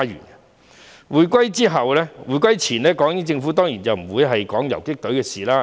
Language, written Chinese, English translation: Cantonese, 在回歸前，港英政府當然不會談游擊隊的事情。, Before the handover the British Hong Kong Government certainly did not talk about the guerrilla force